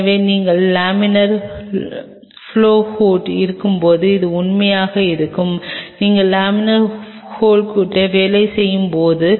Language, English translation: Tamil, So, and specially this holds true when you are on the laminar flow hood; when you are working on the laminar flow hood